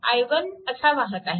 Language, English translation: Marathi, So, it is i 1